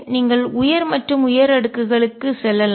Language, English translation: Tamil, You can go to higher and higher powers